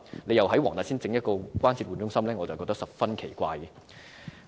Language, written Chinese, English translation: Cantonese, 如再在黃大仙設立關節置換中心，我認為十分奇怪。, I consider it most strange to set up another Joint Replacement Centre in Wong Tai Sin